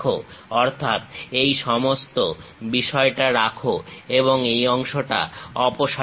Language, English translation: Bengali, So, we want to retain that part, remove this part